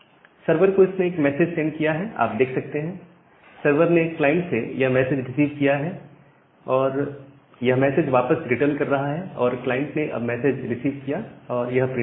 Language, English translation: Hindi, So, it has send a message to the server you can see that the server has received the message from the client and it is returning back that message